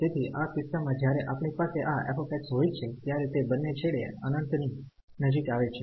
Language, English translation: Gujarati, So, in this case when we have this f x is approaching to infinity at both the ends